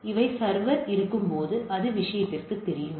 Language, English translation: Tamil, So, where the server is there it is known to the thing